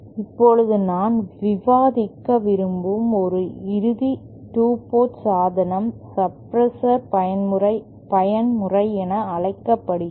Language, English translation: Tamil, Now, one final 2 port device that I would like to discuss is what is known as mode suppressor